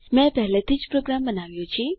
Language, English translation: Gujarati, I have already made the program